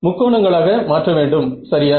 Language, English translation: Tamil, Break it into triangles ok